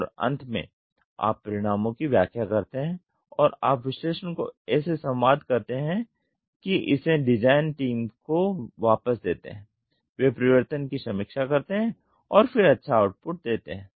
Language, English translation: Hindi, And finally, you interpret the results and you communicate the analysis such that this is taken back to the design team they review change and then give the good output